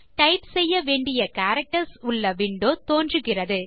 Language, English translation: Tamil, A window that displays the characters to type appears